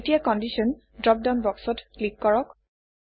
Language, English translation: Assamese, Now, click on the Condition drop down box